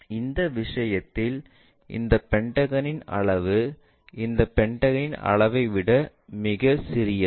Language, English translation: Tamil, That means, in this case the size of this pentagon is very smaller than the size of this pentagon